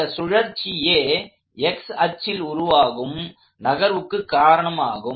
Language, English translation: Tamil, The rotation is the only part that causes the x direction motion